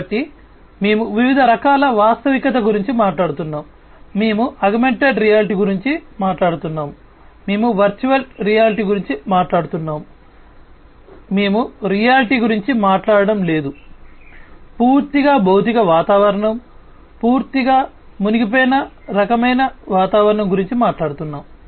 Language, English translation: Telugu, So, we are talking about different types of reality; we are talking about augmented reality, we are talking about virtual reality, we are talking about you know no reality at all, completely physical environment, we are talking about completely immersed kind of environment